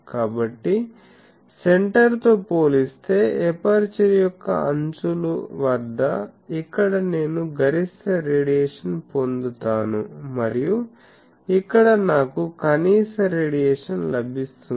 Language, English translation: Telugu, So, compared to the centre the edges of the aperture; that means, here I get maximum radiation and here I get minimum radiation